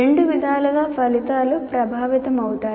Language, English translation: Telugu, Both ways the outcomes are affected